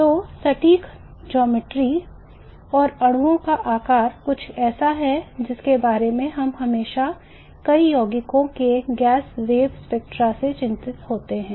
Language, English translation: Hindi, So the precise geometry and the shape of the molecule is something that we always worry about in the gas from the gas phase spectra of many of the compounds